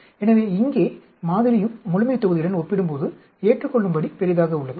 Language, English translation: Tamil, So, here sample also is reasonably large comparable to the population